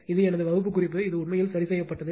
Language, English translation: Tamil, This is my class note everything it is corrected actually right